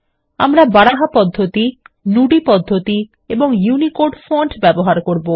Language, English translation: Bengali, We will use Baraha method, the Nudi method and the UNICODE fonts